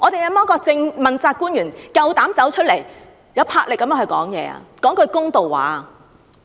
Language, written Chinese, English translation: Cantonese, 有沒有問責官員有膽出來有魄力地發聲，說一句公道話？, Are there accountability officials brave enough to make some fair words with boldness?